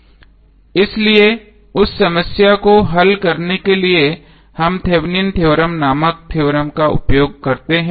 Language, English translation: Hindi, So to solve that problem we use the theorem called Thevenin’s theorem